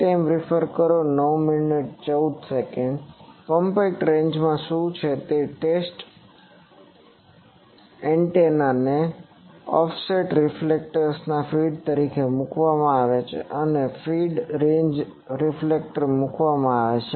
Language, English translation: Gujarati, In compact range what the, it is run the test antenna is put as a feed of an offset reflector and this feed is put to a range reflector